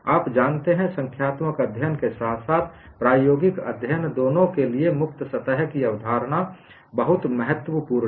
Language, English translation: Hindi, The concept of free surface is very important both for numerical studies as well as experimental studies